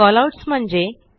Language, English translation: Marathi, What are Callouts